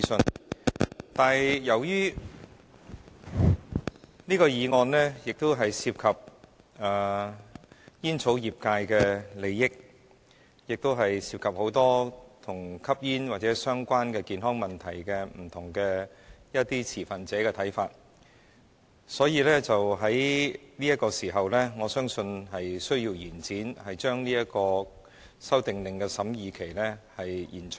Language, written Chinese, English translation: Cantonese, 然而，由於這項議案涉及煙草業界的利益，亦涉及眾多與吸煙或相關健康問題不同持份者的看法，因此我相信有需要把這項《修訂令》的審議期延長。, This motion not only involves the interest of the tobacco industry but it also concerns a lot of smokers and other stakeholders having relevant health problems who would like to express their viewpoints . Hence I think there is a need to extend the scrutiny period for the Order